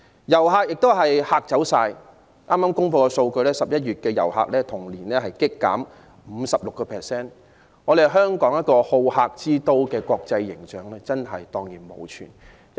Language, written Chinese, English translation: Cantonese, 遊客亦被嚇退，剛公布的數據顯示 ，11 月份的訪港旅客人數較去年同期急跌 56%， 香港好客之都的國際形象蕩然無存。, Tourists have also been scared away . Recent statistics show that the number of inbound visitors for November has dropped drastically by 56 % compared with the same month last year . Hong Kong has completely lost its international image as a hospitality city